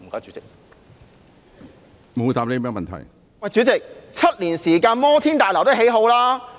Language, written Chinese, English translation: Cantonese, 主席 ，7 年時間，摩天大樓也竣工了。, President within seven years a skyscraper could have been completed